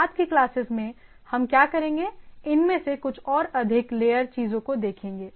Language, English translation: Hindi, So, what we will do in the subsequent classes will see some of this more application layer things